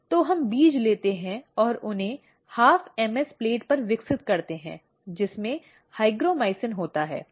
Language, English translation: Hindi, So, we take the seeds and grow them on the half MS plate containing hygromycin